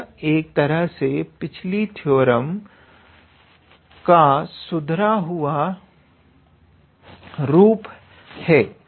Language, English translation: Hindi, So, it is in a way a modified version of the previous theorem